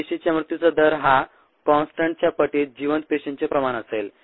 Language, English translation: Marathi, the rate of death of cells equals ah, constant times the viable cell concentration